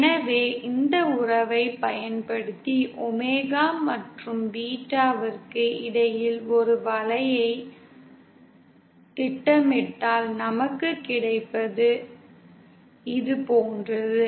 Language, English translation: Tamil, So using this relationship, if we plot a curve between omega vs beta, what we get is something like this